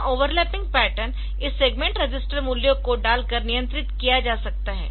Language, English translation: Hindi, So, this overlapping pattern can be controlled by putting this segment register values